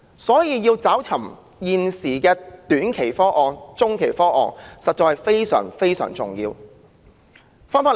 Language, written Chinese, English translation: Cantonese, 所以，想辦法增加短中期房屋供應實在非常重要。, This is a fact . Hence it is crucial to come up with ways to increase housing supply in the short - to - medium term